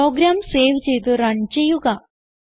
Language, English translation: Malayalam, Now, save and run this program